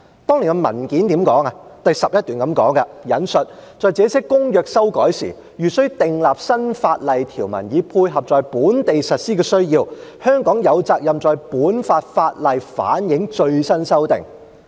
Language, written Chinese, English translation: Cantonese, 當年的文件第11段是這樣說的：："在這些公約修改時，如須訂立新法例條文以配合在本地實施的需要，香港有責任在本港法例反映最新修訂。, Paragraph 11 of the document back then stated I quote When these conventions are amended Hong Kong is obliged to reflect the latest changes to these conventions in our local legislation if new legislative provisions are required for the purpose of their domestic implementation